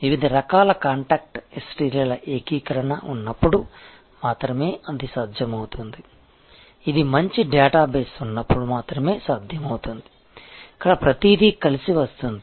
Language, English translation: Telugu, And that is only possible when there is an integration of the different types of contact history, which is only possible when there is a good database, where everything can come together